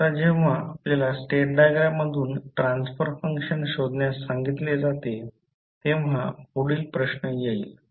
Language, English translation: Marathi, Now, the next question comes when you are asked to find the transfer function from the state diagram